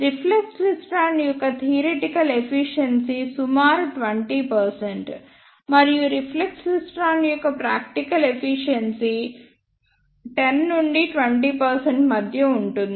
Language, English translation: Telugu, The theoretical efficiency of reflex klystron is about 20 percent, and the practical efficiency of the reflex klystron is somewhere between 10 to 20 percent